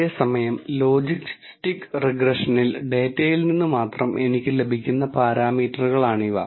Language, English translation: Malayalam, Whereas, in logistics regression, these are parameters I can derive only from the data